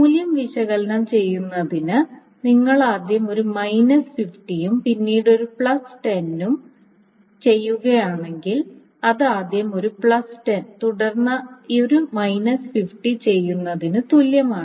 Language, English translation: Malayalam, But actually analyzing the values that if you do A minus 50 first and then A plus 10, that is the same as doing A plus 10 first and then A minus 50 or if you do B plus 50 first and B minus this thus, then it doesn't matter